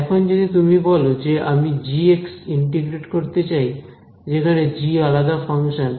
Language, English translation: Bengali, Now you come along tomorrow and say no I want integrate g of x, where g is some different function